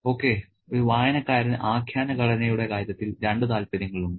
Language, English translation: Malayalam, Okay, there are two interests in terms of narrative structure for a reader